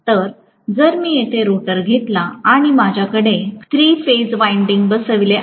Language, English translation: Marathi, So, if I am going to have the rotor here and I have the three phase windings sitting here